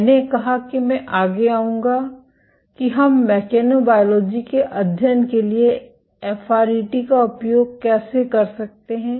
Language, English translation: Hindi, I will said that I would next come to how can we make use of FRET for mechanobiology studies